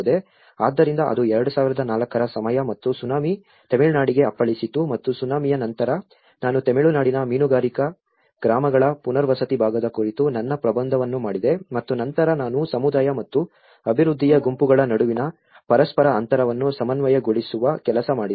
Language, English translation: Kannada, So, that was the time of 2004 and Tsunami have hit the Tamilnadu and immediately after the Tsunami, I did my thesis on the rehabilitation part of fishing villages in Tamil Nadu and then I worked on the reconciling the interaction gap between the community and the development groups